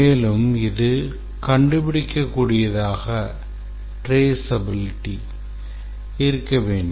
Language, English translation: Tamil, And also it should be traceable